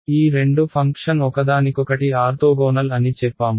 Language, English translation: Telugu, We say that these two functions are orthogonal to each other right